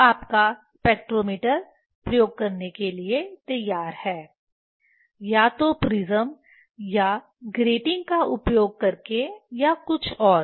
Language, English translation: Hindi, Now, your spectrometer is ready for doing experiment either using the prism or grating or anything else